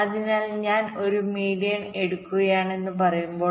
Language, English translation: Malayalam, so what is the definition of median